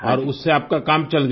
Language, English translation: Hindi, and your work is done with it